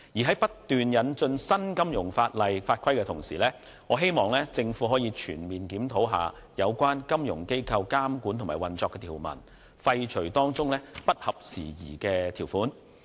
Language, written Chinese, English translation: Cantonese, 在不斷引進新金融法例及法規的同時，我希望政府可以全面檢討有關金融機構監管及運作的條文，廢除當中不合時宜的條款。, While constantly introducing new financial legislation and regulations I urge the Government to conduct a comprehensive review of the provisions on the supervision and operation of FIs and repeal obsolete provisions